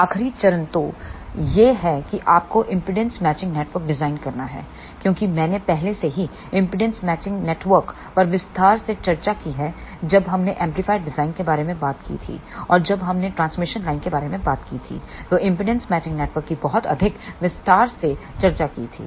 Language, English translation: Hindi, The last step then left is you have to design impedance matching network since I have already discussed impedance matching network in detail when we talked about amplifier design and also impedance matching network has been discussed in much more detail when we talked about transmission line